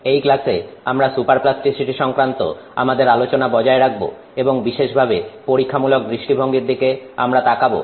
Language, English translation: Bengali, Hello, in this class we are continuing our discussion on super plasticity and particularly we are going to look at experimental aspects